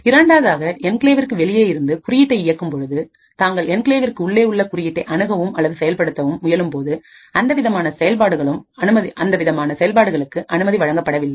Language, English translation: Tamil, The second is when you are executing code outside the enclave but try to access or execute code which is present inside the enclave so this should not be permitted